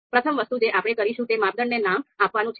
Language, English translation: Gujarati, So first thing that we are going to do is, first we will name the criteria